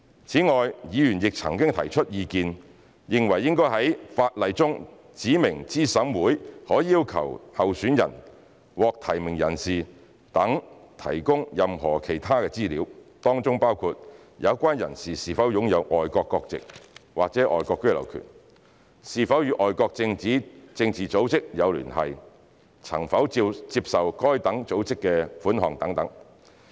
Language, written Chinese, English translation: Cantonese, 此外，議員曾提出意見，認為應在法例中指明資審會可要求候選人、獲提名人等提供任何其他資料，當中包括有關人士是否擁有外國國籍或外國居留權、是否與外國政治組織有聯繫、曾否接受該等組織的款項等。, In addition members have expressed views that it should be specified in the law that CERC may require a candidate a nominee etc . to furnish any other information including whether the person concerned is in possession of foreign nationalities or the right of abode in foreign countries and whether the person has connections with political bodies in foreign countries and has received funding from such bodies